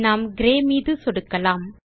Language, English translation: Tamil, Let us click on Grey color